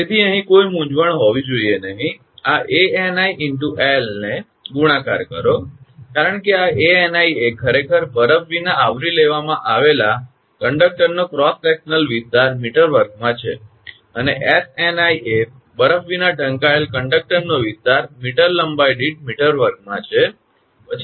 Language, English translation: Gujarati, So, there should not be any confusion here right multiplied this Ani into l, because this Ani actually cross section area of conductor covered without ice in square meter, and Sni is projected area of conductor covered without ice in square meter per meter length right